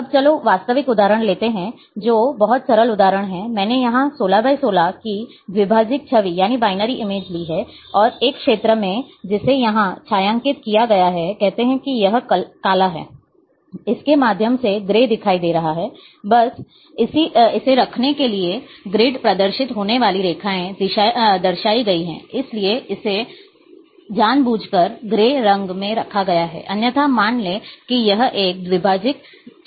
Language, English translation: Hindi, Now let’s take the real example which is very simple example, I have taken here is a 16 by 16 binary image, and in one area which is shaded here, say it is black, through it is appearing as grey, just to keep this the grid lines appearing, therefore, it is deliberately kept in grey, otherwise, assume that this is a binary image